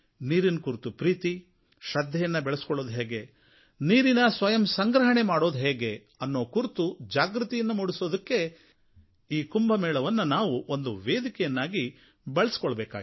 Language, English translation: Kannada, We should use each Kumbh Mela to make people aware of how we can increase our value for water, our faith in water; how we can spread the message of water conservation